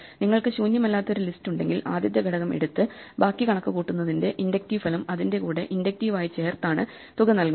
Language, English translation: Malayalam, So, if you have a non empty list, the sum is given by taking the first element and then inductively adding it to the inductive result of computing the rest